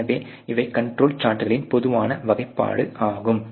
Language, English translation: Tamil, So, these are the typical classification of the control charts